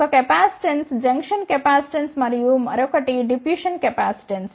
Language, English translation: Telugu, The one capacitance is the junction capacitant capacitance and the another one is the diffusion capacitance